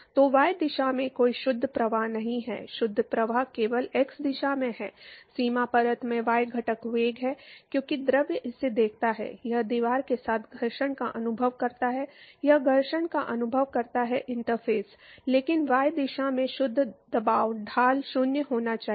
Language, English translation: Hindi, So, there is no net flow in y direction, the net flow is only in the x direction, there is a y component velocity in the boundary layer, because the fluid sees it, it experiences a friction with the wall, it experiences a friction with the interface, but the net pressure gradient in y direction should be 0